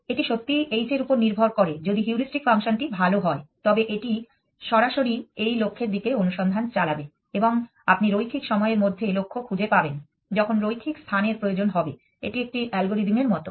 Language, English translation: Bengali, It really depends upon h if the heuristic function is good then it will drive the search towards this goal directly and you will find goal in linear time requiring linear space it is like a algorithm